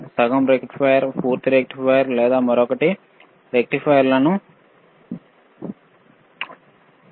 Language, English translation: Telugu, hHalf a rectifier, full a rectifier, is there or another rectifiers